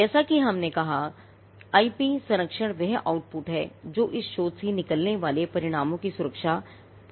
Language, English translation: Hindi, Now, IP protection as we said is the output that protects the results that come out of this research